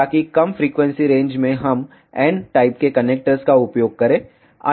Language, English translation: Hindi, So, that in lower frequency range we use n type of connectors